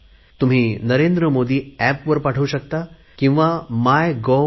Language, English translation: Marathi, Do send me something, either on 'Narendra Modi app' or on MYGOV